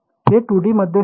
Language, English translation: Marathi, This was in 2D